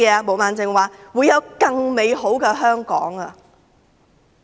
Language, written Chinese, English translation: Cantonese, 毛孟靜議員說會有更美好的香港。, Ms Claudia MO said there will be a better Hong Kong